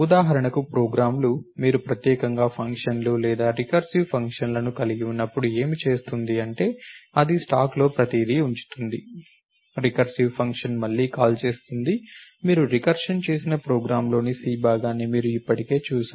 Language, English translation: Telugu, Programs for example, when you have functions or recursive functions in particular, what is done it puts everything on the stack, the recursive function calls itself again, you have already seen the C part of the program where you did recursion